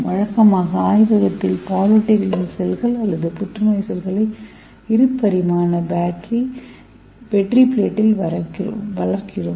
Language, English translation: Tamil, Usually in the lab we grow the mammalian cells or cancer cells in the 2 dimensional petridishes